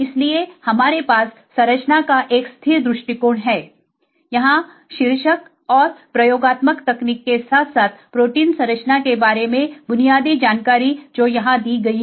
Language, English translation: Hindi, So, we have a static view of the structure here the title as well as basic information about the experimental technique as well as protein structure which is given here